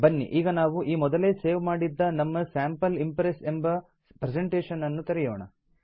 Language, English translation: Kannada, Lets open our presentation Sample Impress which we had saved earlier